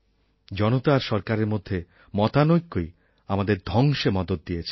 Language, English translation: Bengali, The chasm between the governments and the people leads to ruin